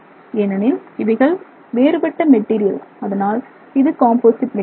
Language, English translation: Tamil, You are creating a composite material because these are dissimilar materials